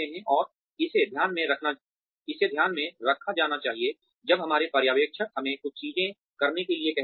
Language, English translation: Hindi, And, it should be taken into account, when our supervisors ask us to do certain things